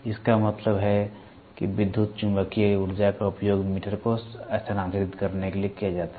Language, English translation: Hindi, This means that electromagnetic energy is used to move the meter